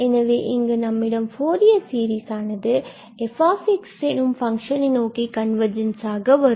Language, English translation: Tamil, So, here we have this convergence result that the Fourier series converges to this f x